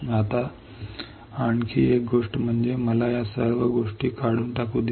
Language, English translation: Marathi, Now, one more thing is let me just remove all these things